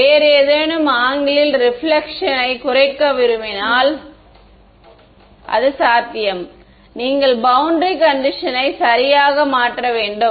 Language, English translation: Tamil, If I wanted to minimize the reflection at some other angle is it possible, you have to change the boundary condition right